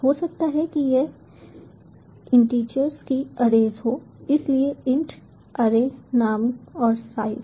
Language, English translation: Hindi, it maybe a arrays of integers, so int array name and the size